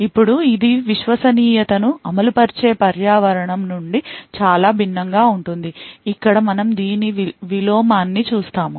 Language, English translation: Telugu, Now this is very different from Trusted Execution Environment where we actually look at the inverse of this